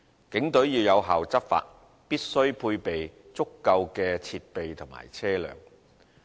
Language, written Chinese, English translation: Cantonese, 警隊要有效執法，必須配備足夠的設備和車輛。, In order to enable the Police to enforce the law effectively they must be provided with sufficient equipment and vehicles